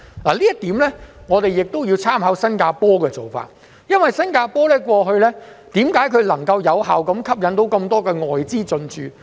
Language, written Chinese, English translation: Cantonese, 就此，我們亦要參考新加坡的做法，為何新加坡過去可以有效吸引眾多外資進駐呢？, In this connection we can draw reference from Singapore . Why has Singapore been so successful in attracting foreign capitals?